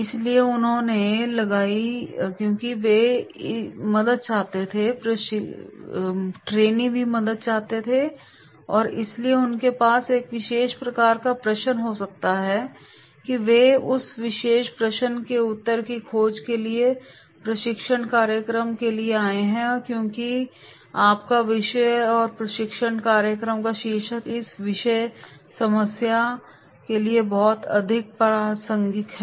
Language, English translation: Hindi, So they have put because they also want the help, trainees also want the help and therefore they might have a particular typical question and they have come for the training program to search the answer for that particular question because your topic and title of the training program is very much relevant to this particular problem